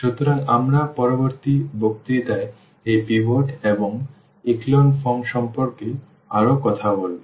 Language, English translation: Bengali, So, we will be talking about in the next lecture more about these pivots and echelon form